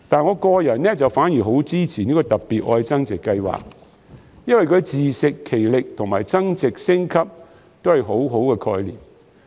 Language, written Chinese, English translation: Cantonese, 我個人反而很支持"特別.愛增值"計劃，因為自食其力及增值升級都是很好的概念。, I am personally very supportive of the Love Upgrading Special Scheme because the concepts of self - reliant and self - enhancement are very good